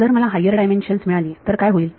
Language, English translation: Marathi, What happens when I got to higher dimensions